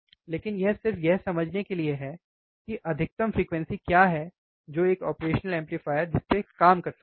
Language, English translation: Hindi, But this is just to understand what is the maximum frequency that operational amplifier can operate it